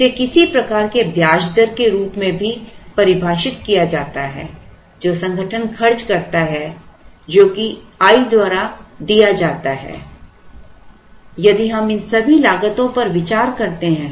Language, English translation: Hindi, So, this is also defined as some kind of interest rate that the organization spends which is given by small I and therefore this C c if we consider all these costs